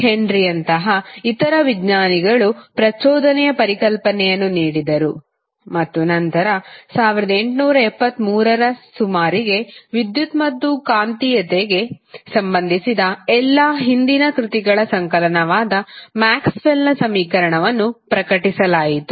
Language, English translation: Kannada, Other scientists like Henry gave the concept of electricity, induction and then later on, in the in the 19th century around 1873, the concept of Maxwell equation which was the compilation of all the previous works related to electricity and magnetism